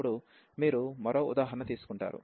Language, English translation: Telugu, So, now you will take one more example